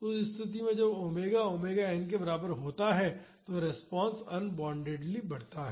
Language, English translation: Hindi, So, in that case when omega is equal to omega n the response grows unboundedly